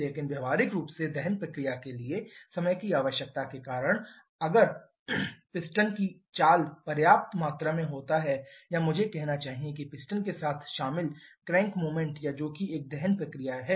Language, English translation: Hindi, But practically because of the finite time requirement for the combustion process there is a sufficient amount of piston movement or I should say crank movement involved with the piston